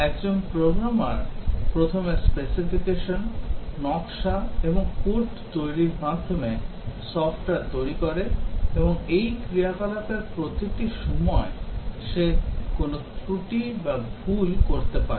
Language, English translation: Bengali, A programmer develops software, by first developing specification, design and code and during each of these activities he may commit an error or mistake